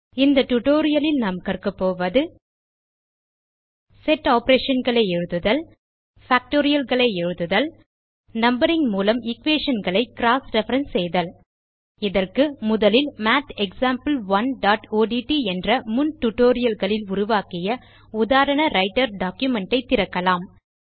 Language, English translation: Tamil, In this tutorial, we will learn how to Write Set operations Write Factorials and Cross reference equations by numbering For this, let us first open our example Writer document that we created in our previous tutorials: MathExample1.odt